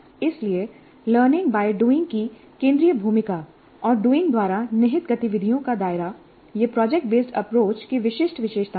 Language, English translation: Hindi, So the central role accorded to learning by doing and the scope of activities implied by doing, these are the distinguishing features of product based approach